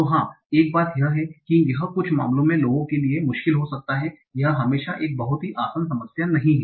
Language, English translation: Hindi, So, yeah, one thing is that it might even be difficult for people in some cases, right